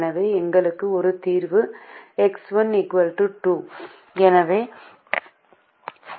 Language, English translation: Tamil, so i get a solution: x one equal to four, x four equal to ten